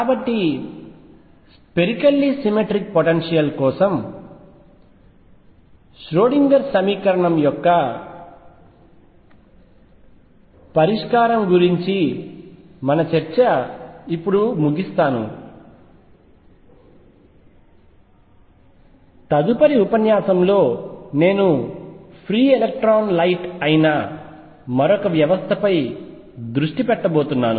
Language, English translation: Telugu, So, this concludes basically our discussion of solution of the Schrödinger equation for spherically symmetric potentials from next lecture onwards, I am going to concentrate on another system which is free electron light